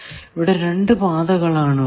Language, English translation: Malayalam, So, there are two paths